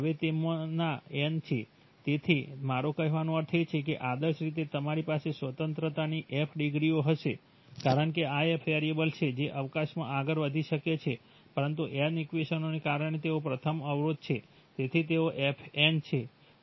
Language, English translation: Gujarati, Now n of them, so I mean ideally you would have f degrees of freedom because these are f variables which could move in the space, but because of the n equations they are first constraint, so they, so it is f n, right